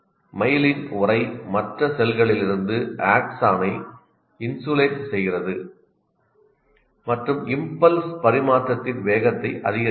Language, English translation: Tamil, The myelin sheath insulates the axon from the other cells and increases the speed of impulse transmission